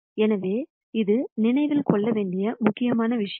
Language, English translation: Tamil, So, this is an important point to remember